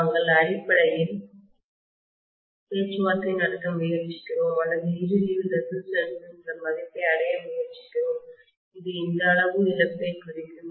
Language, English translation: Tamil, We are essentially trying to negotiate or ultimately arrive at some value of resistance, which would representing this amount of loss